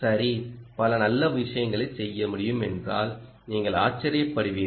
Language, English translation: Tamil, well, you will be surprised that you can do several nice things